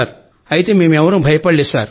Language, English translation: Telugu, But we didn't fear